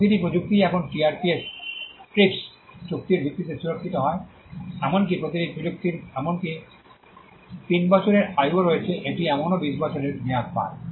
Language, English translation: Bengali, Every technology is now protectable in by virtue of the TRIPS agreement every technology even of the technology has a life span of 3 years, it still gets a 20 year term